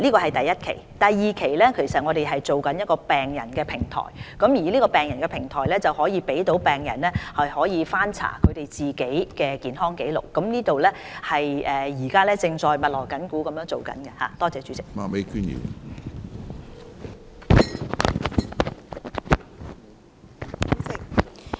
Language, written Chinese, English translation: Cantonese, 至於第二期，我們正籌備一個病人平台，這個病人平台可讓病人翻查自己的健康紀錄，我們正密鑼緊鼓籌備這個平台。, As for Stage Two development we are now working to set up a platform for patients to look up their own health records . The preparation work of the platform is in full swing